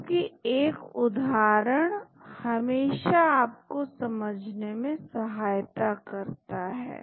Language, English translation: Hindi, Because an example will always help you to understand